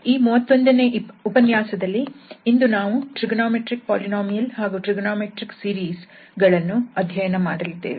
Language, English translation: Kannada, Lecture number 31 and today we will discuss on trigonometric polynomials and trigonometric series